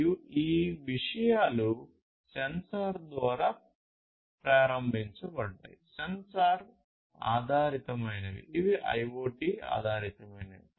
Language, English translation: Telugu, And these things could be, you know, sensor enabled, you know, sensor based let us say that these are IoT based right